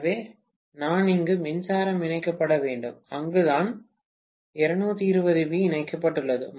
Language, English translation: Tamil, So, I have to have the power supply connected here, that is where 220 volts is connected